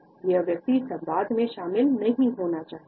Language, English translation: Hindi, The person does not want to get involved in the dialogue